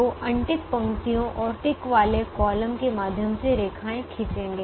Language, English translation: Hindi, so draw a lines through unticked rows and ticked columns